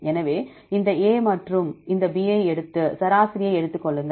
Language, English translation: Tamil, So, take this A and this B and take the average